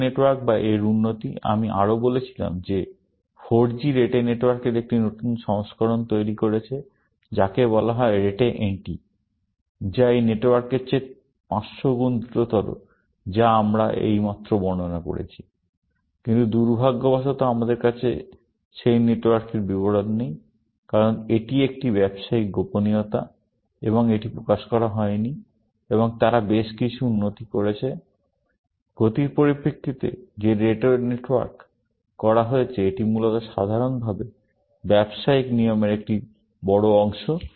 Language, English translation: Bengali, Rete networks or its improvements; I also said that 4G created a newer version of Rete network, which is called Rete NT, which is 500 times faster than this network that we have just described, but unfortunately, we do not have descriptions of that network, because it is a trade secret, and it has not been revealed, but they have been several improvements, in terms of speed, that have been made to the Rete network